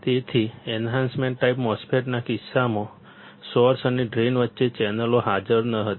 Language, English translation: Gujarati, So, in the case of enhancement type MOSFET, the channels were not present between source and drain